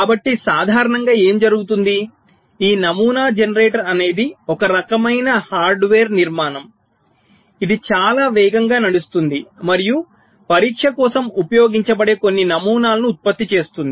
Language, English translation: Telugu, so typically what is done, this pattern generator, is some kind of a hardware structure which can run very fast and generate some patterns which will be use for testing